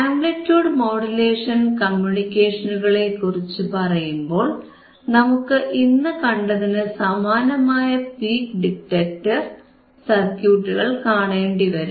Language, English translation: Malayalam, So, if we talk about amplitude modulation communications, then you will see similar circuit what we have shown today, which is your peak detector, which is are peak detector